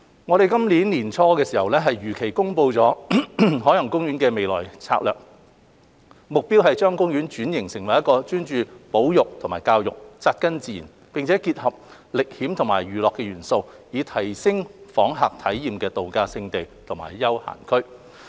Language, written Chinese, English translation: Cantonese, 我們於今年年初如期公布海洋公園的未來策略，目標是將公園轉型成為專注於保育和教育、扎根自然，並結合歷險與娛樂元素，以提升訪客體驗的度假勝地和休閒區。, We announced the future strategy for OP early this year as scheduled . Its aim is to transform OP into a travel destination and leisure zone with a focus on conservation and education grounded in nature and complemented by adventure and entertainment elements to enhance visitors experience